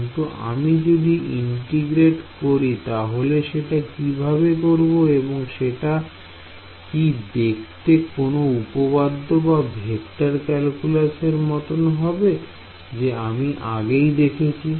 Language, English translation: Bengali, But if we if I integrate I mean how do I integrate; does it look like some theorem or vector calculus you have already seen